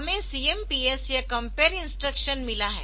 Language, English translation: Hindi, We have got CMPS or compare instruction